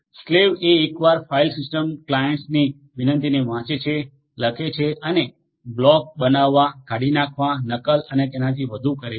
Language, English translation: Gujarati, Slaves are the once which read write request from the file systems clients and perform block creation, deletion, replication and so on